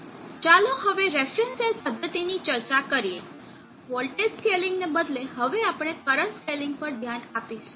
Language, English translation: Gujarati, Let us now discuss the reference cell method instead of voltage scaling we will now look at current scaling